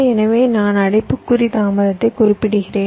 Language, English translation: Tamil, i am also just indicating the delay in bracket